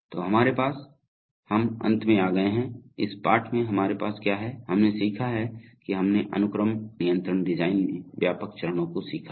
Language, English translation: Hindi, So, we have, we have come to the end of the lesson, in this lesson we have, what have we learnt we have learnt the broad steps in the in the sequence control design